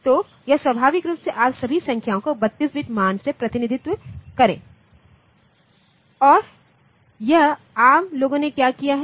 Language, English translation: Hindi, So, it naturally you cannot represent all the numbers in this 32 bit value and it what it what this arm people have done